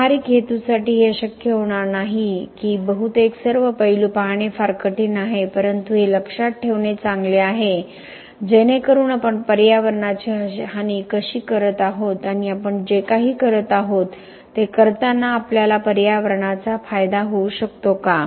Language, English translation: Marathi, For practical purpose is it may not be possible it is mostly very difficult to look at all the aspects but it is good to keep in mind so that we know how we are harming the environment and can we benefit the environment in doing whatever we are doing